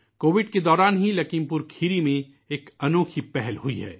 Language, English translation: Urdu, A unique initiative has taken place in LakhimpurKheri during the period of COVID itself